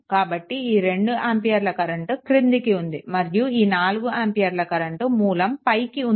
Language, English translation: Telugu, So, this is your that 2 ampere downwards and this is 4 ampere your upwards right